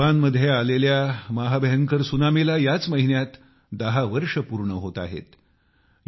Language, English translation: Marathi, This month it is going to be 10 years since the horrifying tsunami that hit Japan